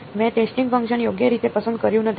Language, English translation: Gujarati, I did not choose a testing function right